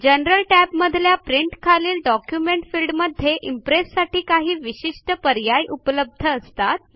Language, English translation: Marathi, In the General tab, under Print, in the Document field, we see various options which are unique to Impress